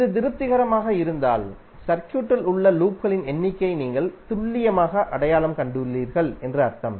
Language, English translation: Tamil, If it is satisfying it means that you have precisely identified the number of loops in the circuit